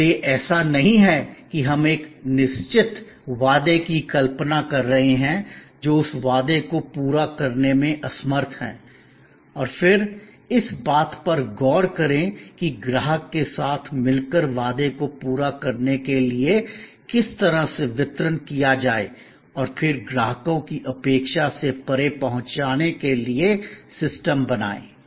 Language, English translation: Hindi, So, it is not that we create are imagine a certain promise unable that promise and then, look at that how well the delivery as be made rather conceive the promise together with the customer and then, create systems to deliver beyond customers expectation go beyond the promise